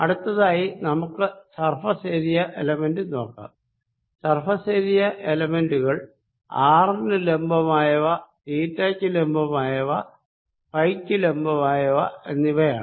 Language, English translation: Malayalam, next, let's look at surface elements, surface area elements perpendicular to r, perpendicular to theta and perpendicular to phi